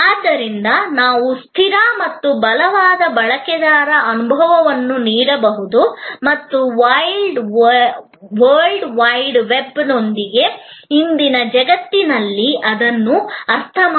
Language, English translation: Kannada, So, that we can provide consistent and compelling user experience and understand that in today's world with the World Wide Web